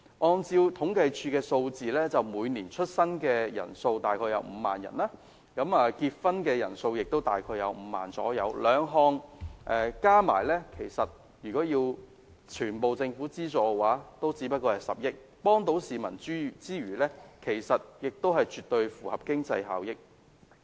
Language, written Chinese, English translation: Cantonese, 按照政府統計處的數字，每年出生人數大概5萬，結婚人數亦大概5萬，兩項加起來，如果全部要政府資助的話也只須10億元，能夠幫助市民之餘，亦絕對符合經濟效益。, According to the figures of the Census and Statistics Department the annual number of births in Hong Kong is about 50 000 and the annual number of marriages is also 50 000 . If the two are added up it will only requires a full government subsidy of 1 billion . In so doing we can achieve the economic benefits in addition to helping the public